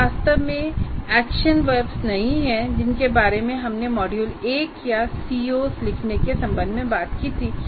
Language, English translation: Hindi, These are not really the action verbs that we talked about in the module one or in writing C Os